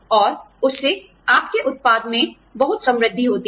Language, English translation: Hindi, And, that adds a lot of richness, to what you produce